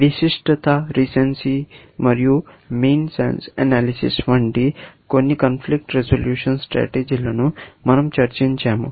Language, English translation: Telugu, We discussed a few conflict resolution strategies, like specificity, and recency, and mean sense analysis, and so on